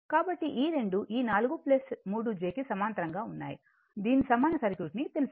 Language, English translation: Telugu, So, you find out thatthis 2 are in parallel this 4 plus j 3 and are in parallel you find out say equivalent